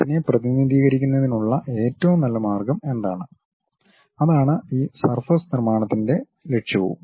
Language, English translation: Malayalam, What is the best way of representing that, that is the whole objective of this surface construction